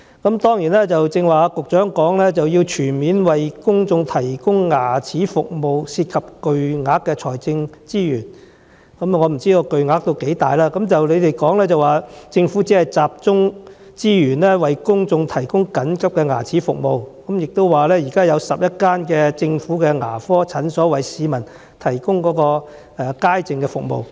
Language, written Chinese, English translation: Cantonese, 局長剛才在主體答覆中表示，要全面為公眾提供牙科服務涉及巨大的財政資源，我不知道巨大到甚麼程度，但局長說政府只會集中資源為公眾提供緊急牙科服務，並表示現時有11間政府牙科診所為市民提供牙科街症服務。, The Secretary said earlier in the main reply that the provision of comprehensive dental services for the public would require a substantial amount of financial resources and I do not know how substantial the amount will be . But the Secretary said that the Government would focus resources only on providing emergency dental services for the public adding that there are now 11 government dental clinics providing general public sessions for the public